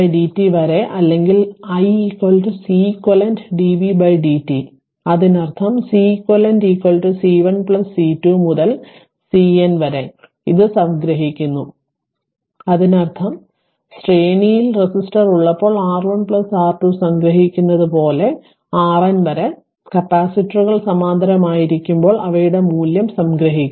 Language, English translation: Malayalam, I can write we can write I C 1 plus C 2 up to C N dv by dt or i is equal to C q dv by dt ; that means, C eq is equal to C 1 plus C 2 up to C N sum it up; that means, when resistor are in the series we are summing r 1 plus r 2 up to r n say when the capacitors are in parallel at that time their value will be that thing will be summed up right